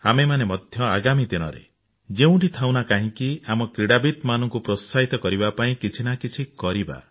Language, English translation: Odia, In the days to come, wherever we are, let us do our bit to encourage our sportspersons